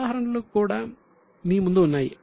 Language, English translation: Telugu, Now, examples are also in front of you